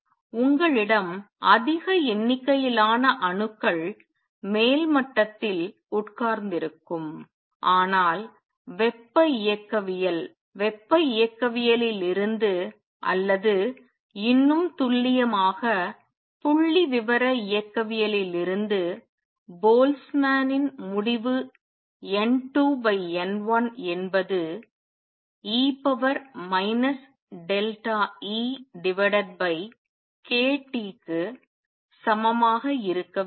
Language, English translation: Tamil, So, you will have large number of atoms sitting in the upper sate, but thermodynamically, but from thermodynamics or more precisely from the statistically mechanics Boltzmann result is that N 2 over N 1 should be equal to E raise to minus delta E over a T